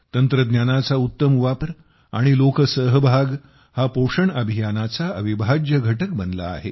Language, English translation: Marathi, Better use of technology and also public participation has become an important part of the Nutrition campaign